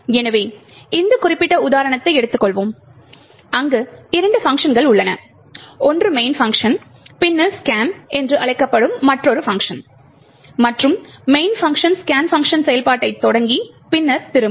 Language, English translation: Tamil, So, we will take this particular example where there are just two functions one the main function and then another function called scan and the main function is just invoking scan and then returning